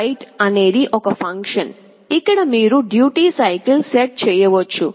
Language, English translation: Telugu, write() is a function, where you can set the duty cycle